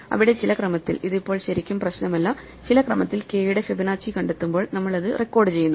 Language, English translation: Malayalam, So, we have a table where in some order, it does not really matter for now; in some order as and when we find Fibonacci of k for some k, we just record it